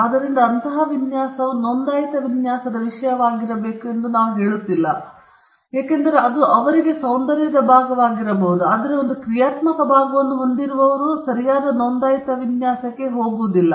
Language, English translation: Kannada, So we do not say such design should be the subject matter of a registered design, because they could be an aesthetic part to it, but if there is a functional part right holders will not go for a registered design